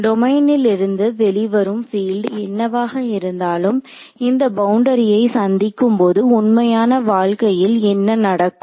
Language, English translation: Tamil, So, whatever field is let us say emanating from this domain when it encounters this boundary what should happen in real life